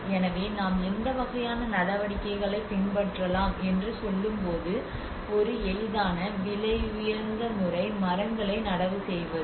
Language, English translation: Tamil, So when we say about what kind of measures we can adopt so one easiest expensive method is planting the trees